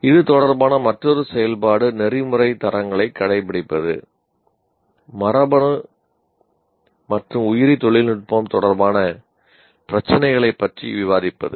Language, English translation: Tamil, And another activity related to this is adhere to ethical standards in discussing issues in genetic and biotechnology, issues related to genetics and biotechnology